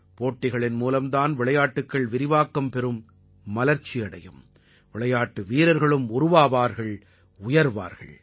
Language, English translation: Tamil, It is only through competition that a sport evolves…progresses…giving rise to sportspersons as an outcome